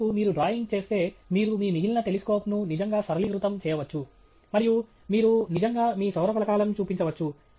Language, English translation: Telugu, On the other hand, if you make a drawing, you can really, you know, simplify all the rest of your telescope and you really highlight your solar panels